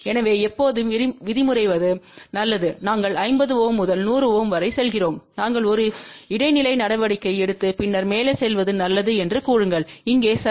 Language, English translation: Tamil, So, it is always better that let us say we are going from 50 to 100, say it is better that we take a intermediate step and then go over here ok